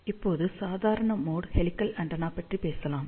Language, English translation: Tamil, Now, let us talk about normal mode helical antenna